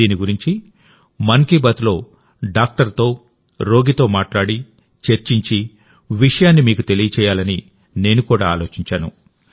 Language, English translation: Telugu, Why not talk about this in 'Mann Ki Baat' with a doctor and a patient, communicate and convey the matter to you all